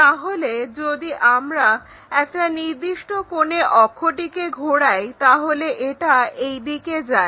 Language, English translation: Bengali, So, this axis if we are rotating by a certain angle it goes in that way